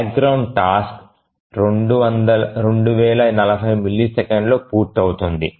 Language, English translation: Telugu, So the background task will complete in 2040 milliseconds